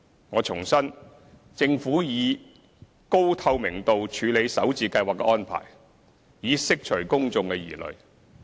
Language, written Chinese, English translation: Cantonese, 我重申，政府以高透明度處理首置計劃的安排，以釋除公眾疑慮。, I wish to reiterate that the Government will handle the arrangement of the Starter Homes scheme in a highly transparent manner so as to assuage public concerns